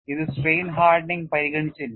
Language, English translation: Malayalam, It was not considering strain hardening at all